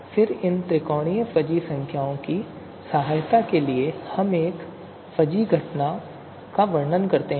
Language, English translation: Hindi, And then these you know you know with the help of these triangular fuzzy numbers we can describe a fuzzy event